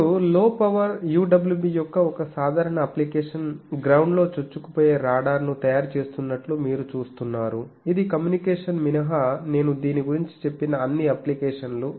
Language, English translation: Telugu, UWB you see one typical application of low power things are making ground penetrating radar which all the applications I have said about this except communication